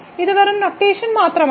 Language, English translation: Malayalam, So, this is just the notation